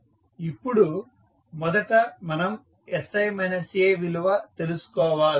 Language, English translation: Telugu, Now, first we need to find out the value of sI minus A